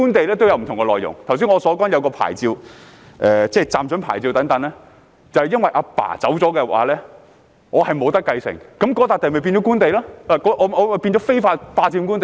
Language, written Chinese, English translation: Cantonese, 正如我剛才提到的一種牌照，即暫准牌照，便因為父親離世後我不能繼承，令該塊土地變成官地，我變成非法霸佔官地。, For example in the case of a licence I mentioned earlier namely the temporary licence the fact that I cannot inherit the licence after my fathers death will turn that piece of land into government land and implicate me in unlawful occupation of government land